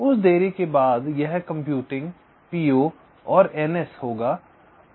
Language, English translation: Hindi, after that delay it will be computing p o and n